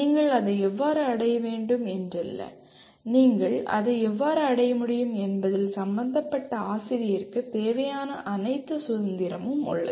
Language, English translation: Tamil, It does not mean how you need to achieve that, how you can achieve that is all the, the concerned teacher has all the required freedom for that